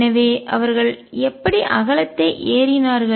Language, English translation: Tamil, So, how did they climb up width